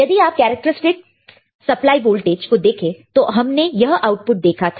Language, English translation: Hindi, If you go to the characteristics supply voltage we have seen this output